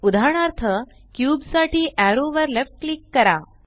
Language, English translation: Marathi, For example, left click arrow for cube